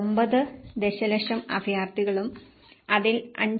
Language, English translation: Malayalam, 9 million refugees and out of which 5